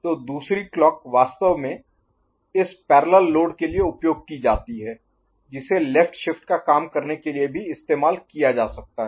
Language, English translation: Hindi, So, the other clock is actually used for this parallel load which can be also used for left shift operation